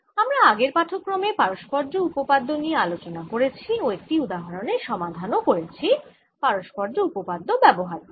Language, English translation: Bengali, you been talking about reciprocity theorem in the previous lecture and solved one example using ah reciprocity theorem